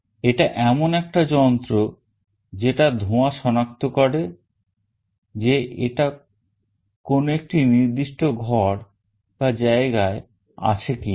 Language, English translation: Bengali, It is a system that will detect smoke, whether it is present inside a particular room or a particular area